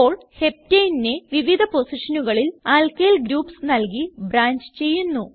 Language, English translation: Malayalam, Now lets branch Heptane using Alkyl groups at various positions